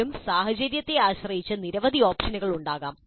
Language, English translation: Malayalam, Again, depending upon the situation, there can be several options